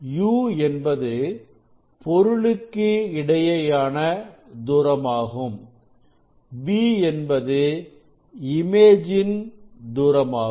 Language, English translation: Tamil, v and this will be distance of the image that magnitude will be u